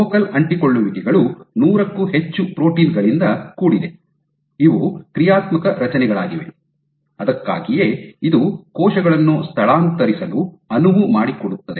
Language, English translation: Kannada, So, focal adhesions are composed of more than hundred proteins, these are dynamic structures that is why it enables cells to migrate